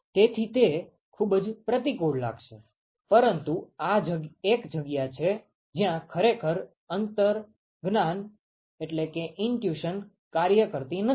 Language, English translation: Gujarati, So, it sounds very counterintuitive, but this is where this is one place where actually intuition does not work